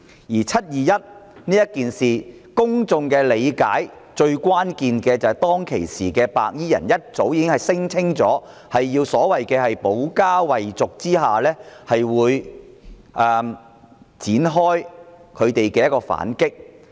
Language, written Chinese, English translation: Cantonese, 就"七二一"事件，公眾理解到，當時白衣人早已聲稱，為了保家衞族而要展開反擊。, Regarding the 21 July incident members of the public have learnt that the white - clad people had claimed earlier that they would launch counter - attacks to defend their homes and clans